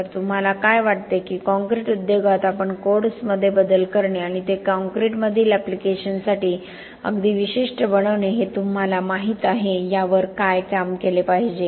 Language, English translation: Marathi, So what do you think that we, in the concrete industry should do to work on what, you know modifying the codes and making them very specific to the applications in concrete